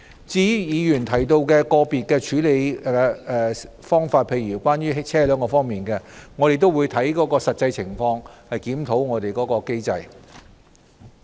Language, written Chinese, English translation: Cantonese, 至於議員提到個別處理方法，例如關於車輛方面，我們會按實際情況檢討機制。, Regarding the individual measures as mentioned such as those in relation to vehicles the Government will review the mechanism with reference to the actual circumstances